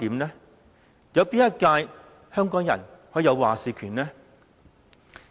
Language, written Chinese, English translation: Cantonese, 哪一屆香港人可以有話事權呢？, Did Hong Kong people have any say in the election of any one of them?